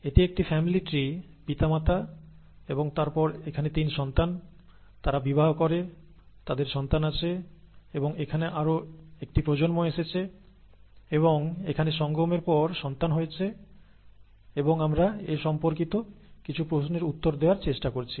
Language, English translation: Bengali, This is a a family tree parents and then the 3 offspring here, they marry and they have children and there is one more generation that is occurring here and after mating here, there are children here and we are trying to answer some questions related to these